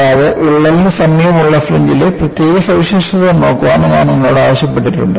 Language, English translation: Malayalam, And, I have also asked you to look at the special features of the fringe in the vicinity of the crack